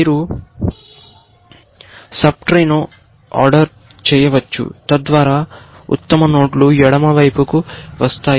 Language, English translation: Telugu, You can order the sub tree, so that, the best nodes are coming to the left side